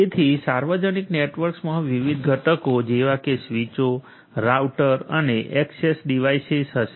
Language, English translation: Gujarati, So, public networks will consist of different components such as the switches, routers and access devices